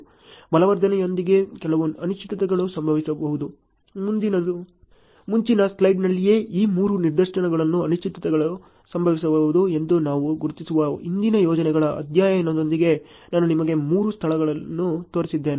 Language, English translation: Kannada, Some uncertainties can happen with the reinforcement also; in the earliest slide itself, I have shown you three places with the study on previous projects we have identified that uncertainties can happen on these three instances